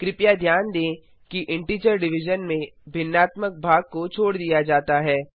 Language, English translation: Hindi, Please note that in integer division the fractional part is truncated